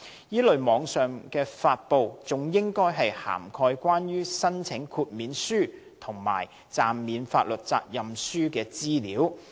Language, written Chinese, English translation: Cantonese, 這類網上發布，還應涵蓋關於申請豁免書及暫免法律責任書的資料。, Such online publication should also cover information on applications for the other two types of specified instruments